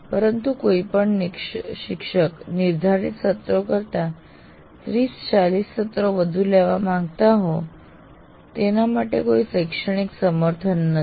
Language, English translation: Gujarati, But absolutely, academically, there is no justification for any teacher wanting to take 30, 40 sessions beyond what is scheduled